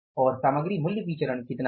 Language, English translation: Hindi, So, how much is the material cost variance